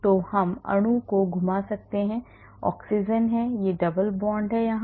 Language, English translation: Hindi, So, we can rotate this molecule the oxygen is the there is a double bond here